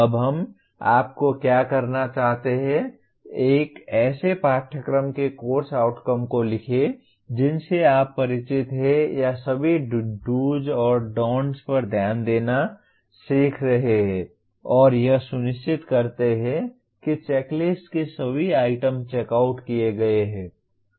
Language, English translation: Hindi, Now what we want you to do is write course outcomes of a course you are familiar with or taught paying attention to all the do’s and don’ts making sure all the items in checklist are checked out